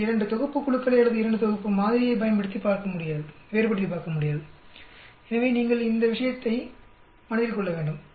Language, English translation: Tamil, You will not be able to differentiate between 2 sets of group or 2 sets of sample, so you need to keep that point very much in mind